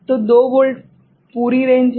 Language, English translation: Hindi, So, 2 volt is the entire range right